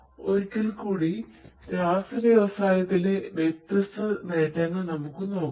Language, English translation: Malayalam, So, in the chemical industry once again, let us have a look at these different benefits